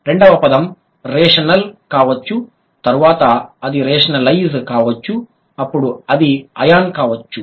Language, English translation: Telugu, Sorry, the second word could be rational, then it could be rationalize, then it could be a on